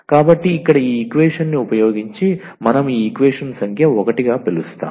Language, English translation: Telugu, So, here this using this equation which we call as equation number 1